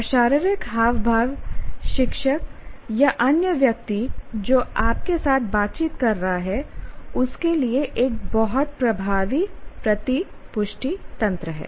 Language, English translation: Hindi, And body language kind of is a very dominant feedback mechanism to the teacher or to the other individual who is interacting with you